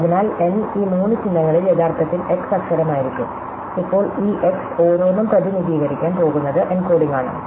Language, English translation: Malayalam, So, n by 3 of these symbols will actually be the letter x and now, each of these Xs is going to be represented by it is encoding